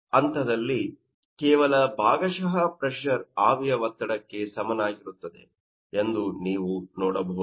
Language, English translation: Kannada, So, at this point, you can see that simply partial pressure will be equal to vapour pressure